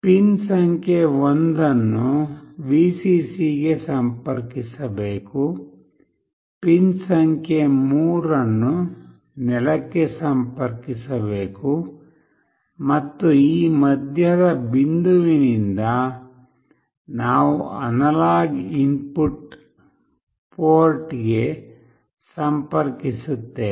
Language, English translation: Kannada, Pin 1 should be connected to Vcc, pin 3 must be connected to ground, and from this middle point, we connect to the analog input port